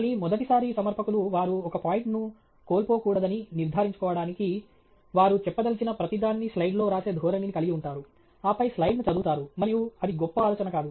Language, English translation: Telugu, Again, first time presenters, just to be sure that they are not missing out on a point, have this tendency to write everything that they want say on the slide, and then just read the slide, and that’s not a great idea